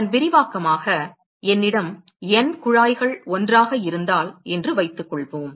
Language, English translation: Tamil, An extension of that is suppose if I have N tubes together